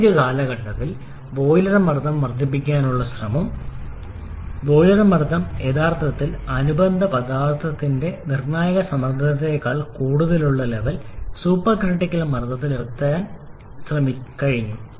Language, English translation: Malayalam, In the modern times in an effort to increase the boiler pressure we have also been able to reach the supercritical pressure level where the boiler pressure is actually greater than the critical pressure of the corresponding substance